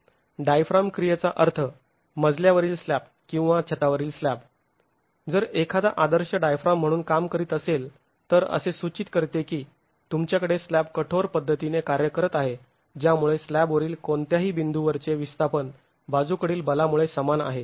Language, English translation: Marathi, Diiform action meaning the floor slab or the roof slab if it is acting as an ideal diaphragm implying that you have the slab acting in a rigid manner because of which the displacements at any point on the slab are equal due to the lateral force